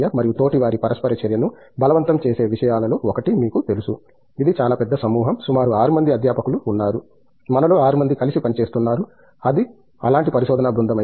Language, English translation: Telugu, And, one of the things that forces the peer interaction is you know, it’s a fairly big group, there are about 6 faculty, 6 of us who are working together in, if it’s a research group like that